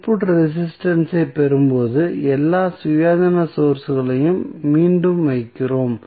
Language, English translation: Tamil, And when we get I the input resistance, we again put all the Independent Sources back